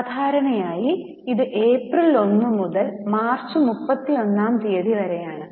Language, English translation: Malayalam, Normally it is from 1st April to 31st March